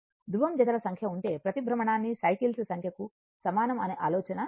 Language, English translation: Telugu, This is the idea that if you have number of pole pairs is equal to number of cycles per revolution